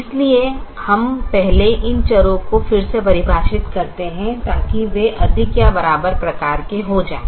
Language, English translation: Hindi, so we first redefine these variables such that they become greater than or equal to type